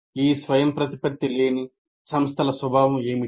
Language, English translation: Telugu, Now, what is the nature of this non autonomous institution